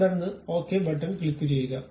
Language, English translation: Malayalam, 10 and then click this Ok button